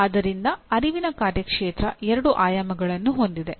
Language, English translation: Kannada, So the cognitive domain has two dimensions